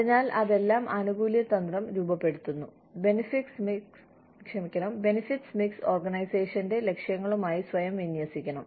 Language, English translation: Malayalam, So, all of that forms, or the benefits strategy, the benefits mix, has to align itself, to the objectives of the organization